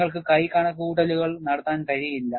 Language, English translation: Malayalam, You cannot do hand calculations